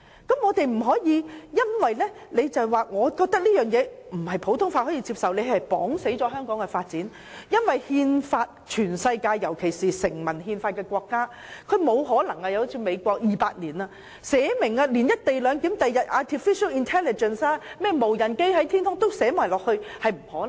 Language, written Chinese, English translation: Cantonese, 我們不應因為認為它不為普通法所接受而窒礙香港的發展，因為全世界尤其是成文憲法的國家如美國，即使它已有200年的歷史，也沒有可能為後期才出現的"一地兩檢"、artificial intelligence 及無人駕駛飛機等預先制定條文。, Our belief that it is not recognized by the common law should not stand in the way of the development of Hong Kong because countries worldwide particularly those which have a written constitution such as the United States even given its two - century - long history will not be able to enact provisions ahead of time for such things as the co - location arrangement artificial intelligence and unmanned aerial vehicles emerging only at a later stage